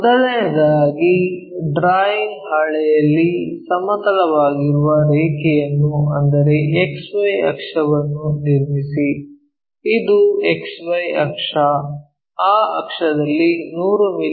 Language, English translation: Kannada, First of all on the drawing sheet construct a horizontal line X Y axis, this is the X Y axis, in that axis 100 mm long we have to use first one